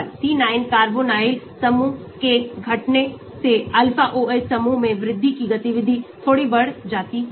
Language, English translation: Hindi, Reduction of the C9 carbonyl group increase to an Alpha OH group increases activity slightly